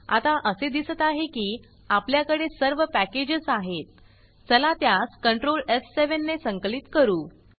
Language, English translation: Marathi, So it looks like we have all the packages, now lets compile, control f7